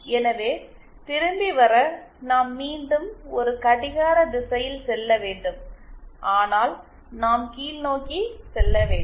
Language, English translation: Tamil, So, to come back we need to move in a clockwise direction once again but then we need to go downwards